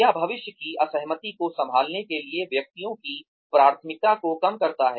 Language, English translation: Hindi, It reduces the preference of individuals, for handling future disagreements